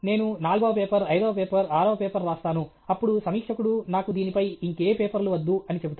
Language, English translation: Telugu, I will write the fourth paper, fifth paper, sixth paper, then the reviewer will say I don’t want any more paper on this